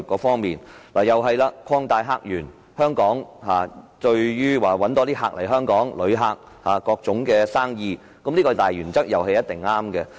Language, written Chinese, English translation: Cantonese, 同樣地，"擴大客源"關乎香港如何吸引更多旅客及各類生意，這項大原則也一定是對的。, Likewise opening up new visitor sources is about how Hong Kong can attract more tourists and various kinds of business . And such a major principle must be correct as well